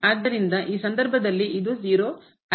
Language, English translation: Kannada, So, in this case this is 0